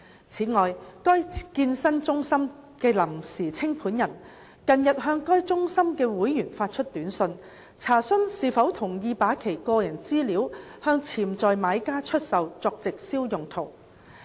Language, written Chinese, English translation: Cantonese, 此外，該健身中心的臨時清盤人近日向該中心的會員發出短訊，查詢是否同意把其個人資料向潛在買家出售作直銷用途。, In addition the provisional liquidator of the fitness centre has recently sent short messages to members of the centre to enquire whether they agree to sell their personal data to potential buyers for use in direct marketing